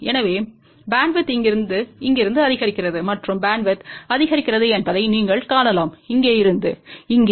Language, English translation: Tamil, So, you can see that the bandwidth increases from here to here and bandwidth increases from here to here